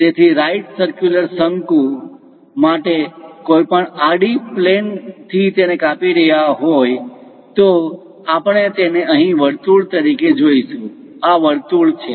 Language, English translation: Gujarati, So, any horizontal plane for a right circular cone if we are slicing it, we will see it as circle here, this is the circle